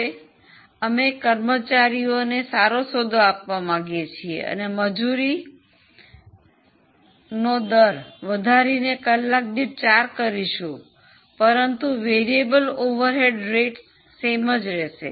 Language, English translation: Gujarati, Now we want to give a better deal to employees and increase their wage rate to 4, the hourly variable over rate will remain same